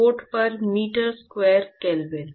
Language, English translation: Hindi, Watt per meter square kelvin